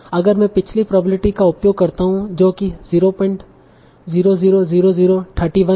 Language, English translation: Hindi, So if I use the previous probability that will be roughly 0